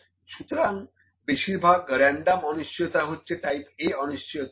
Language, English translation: Bengali, So, most random uncertainties are type A uncertainties